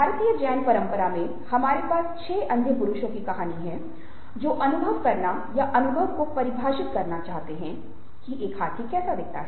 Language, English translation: Hindi, in the china tradition, in the indian tradition we have a very well known story of a six blind men who wanted to discover, or to define experience, what an elephant was like